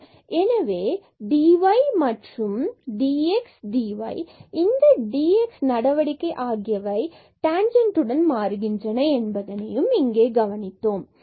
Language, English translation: Tamil, So, we have also noted here that dy and dx dy and this dx measure changes along the tangent line